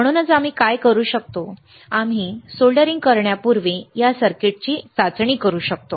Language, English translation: Marathi, That is why what we can do we can test this component test this circuit before we do the soldering